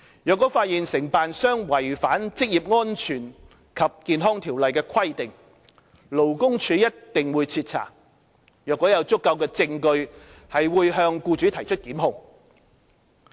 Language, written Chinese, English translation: Cantonese, 若發現承辦商違反《職業安全及健康條例》的規定，勞工處一定會徹查，如果有足夠的證據，會向僱主提出檢控。, If service contractors are found to have violated the provisions of the Occupational Safety and Health Ordinance LD will definitely conduct thorough investigations . Prosecution will be instituted against the offending employers should there be sufficient evidence